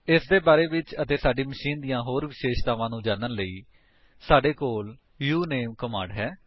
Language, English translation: Punjabi, To know this and many other characteristics of our machine we have the uname command